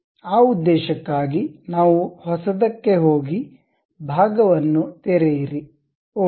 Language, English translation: Kannada, For that purpose what we do is go to new, open a part, ok